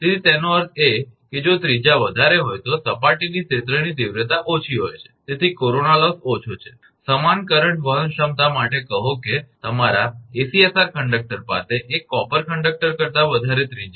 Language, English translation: Gujarati, So, that means, if radius is high the surface field intensity is less, hence corona loss is less; for the same current carrying capacity say an ACSR your conductor has larger radius then single copper conductor